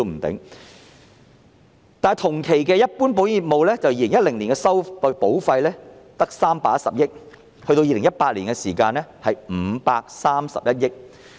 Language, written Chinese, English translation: Cantonese, 但是，同期的一般保險業務 ，2010 年的保費只有310億元，而2018年，則是531億元。, However during the same period the total premiums of general insurance policies amounted to only 31 billion in 2010 and 53.1 billion in 2018